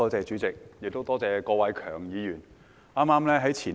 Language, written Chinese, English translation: Cantonese, 多謝主席，亦多謝郭偉强議員。, Thank you President . My thanks also go to Mr KWOK Wai - keung